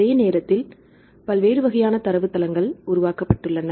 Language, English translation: Tamil, So, at the same time different types of databases have been developed for example